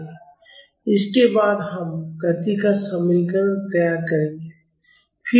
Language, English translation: Hindi, After that we will formulate the equation of motion